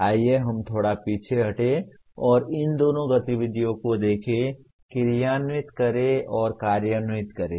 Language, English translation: Hindi, Let us go back a little bit and look at these two activities, execute and implement